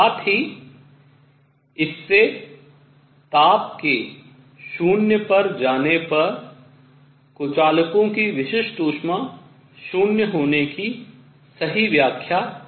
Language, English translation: Hindi, Also this led to correct explanation of specific heat of insulators going to 0 as temperature goes to 0